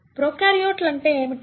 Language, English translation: Telugu, So, what are prokaryotes